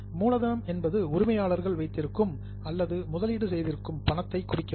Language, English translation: Tamil, Capital refers to the money which owners have put in